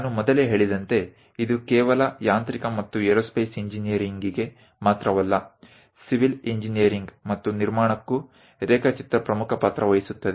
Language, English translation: Kannada, As I mentioned earlier it is not just for mechanical and aerospace engineering, even for a civil engineering and construction drawing plays an important role